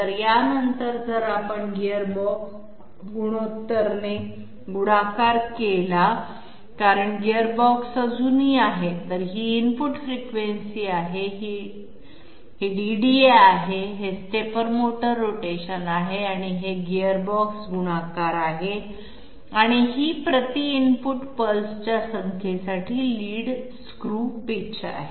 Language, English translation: Marathi, So after this if we multiply the gearbox ratio because the gearbox is still there will, so this is input frequency, this is DDA, this is stepper motor rotation, this is gearbox multiplication and this is the lead screw pitch per number of input pulses